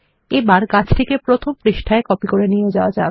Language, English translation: Bengali, Lets copy the tree to page one which is our main drawing page